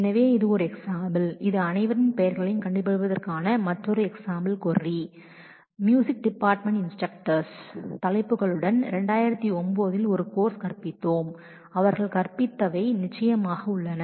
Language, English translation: Tamil, So, this is one example, this is another example query we are taking find the names of all instructors in the music department, we have taught a course in 2009 along with the titles of the course they taught